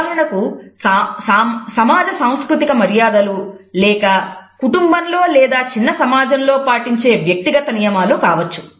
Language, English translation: Telugu, There may be for example socio cultural conventions or individual rules running within families or a smaller segments of society